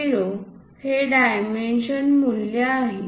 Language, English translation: Marathi, 0 is that dimension value